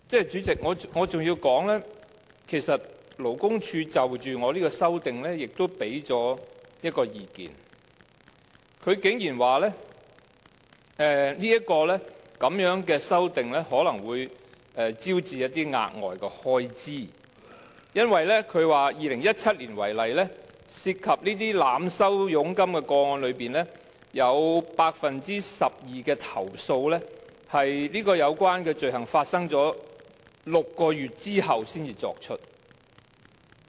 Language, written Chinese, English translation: Cantonese, 主席，我想再指出，其實勞工處就着我提出的修正案也提供了一項意見，便是它竟然說我的修正案可能會招致額外開支，因為以2017年為例，在涉及濫收佣金的個案當中，有 12% 的投訴是在有關罪行發生6個月後才提出。, Chairman I would like to point out once again the view expressed by LD on my proposed amendment that additional expenses might be incurred because in 2017 for instance 12 % of the complaints about cases of overcharging were not lodged until six months after the commission of the offences